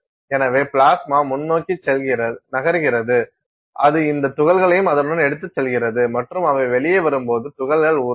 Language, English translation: Tamil, So, plasma is moving forward and it takes these particles along with it and the particles melt as they come out, they are molten